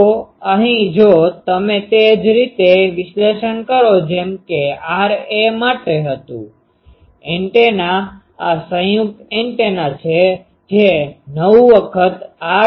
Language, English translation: Gujarati, So, here if you analyze in the similar way that R a; the antennas this combined antenna that will be 9 times R dipole etc